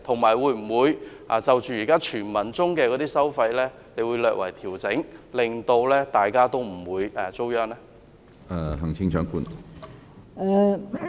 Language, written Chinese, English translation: Cantonese, 至於這些傳聞中的收費安排，她會否略為調整，令大家不會遭殃？, Regarding the toll arrangement for the three tunnels as suggested by hearsay will she make any slight adjustment so that we will not suffer?